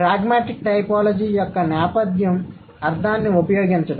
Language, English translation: Telugu, So, theme of pragmatic typology would be the use of meaning